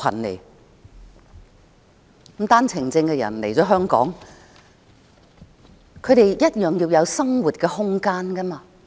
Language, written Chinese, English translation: Cantonese, 持單程證的人來香港後，他們也需要有生活空間。, When people holding OWPs arrive in Hong Kong they also need living space